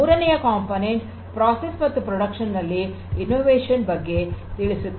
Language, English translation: Kannada, And the third component talks about innovation in the process and the production